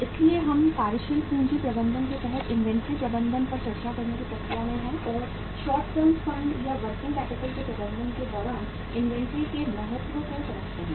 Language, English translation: Hindi, So we are in the process of discussing the inventory management under the working capital management and the importance of inventory while managing the short term funds or the working capital